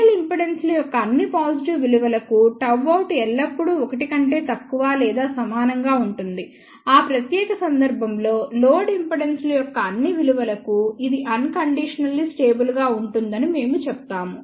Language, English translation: Telugu, For all positive value of real impedances gamma out will always be less than or equal to 1, in that particular case, we say it is unconditionally stable for all values of the load impedances